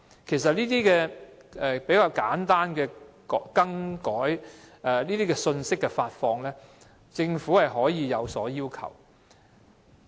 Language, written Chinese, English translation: Cantonese, 其實，就簡單信息的發放，例如服務的更改，政府是可以有所要求的。, In fact regarding the dissemination of simple information such as changes in service the Government can impose requirements on these companies